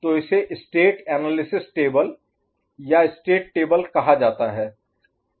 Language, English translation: Hindi, So it is called state analysis table or state table